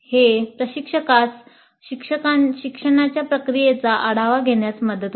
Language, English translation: Marathi, This allows the instructor to review the process of learning